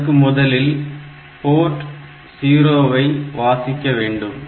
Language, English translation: Tamil, So, first the port P 0 has to be read